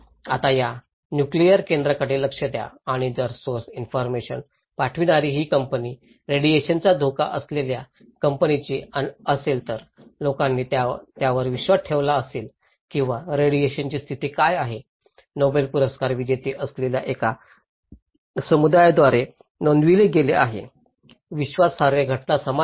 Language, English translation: Marathi, Now, look into this nuclear power plant and if the source senders of information is this company who are at risk about the radiation, then people would believe them or what is the status of radiation is reported by a group of Nobel laureates who would be more trustworthy the event is same